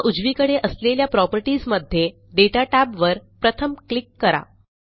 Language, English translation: Marathi, Now in the properties on the right, let us click on the Data tab first